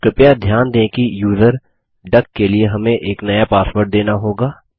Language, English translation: Hindi, Please note that we will be prompted for a new password for the user duck